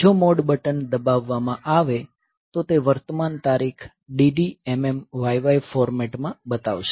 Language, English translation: Gujarati, So, if the mode button is pressed; so it will show the current date in dd mm yy format